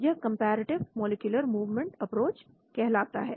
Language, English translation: Hindi, This is called the comparative molecular movement approach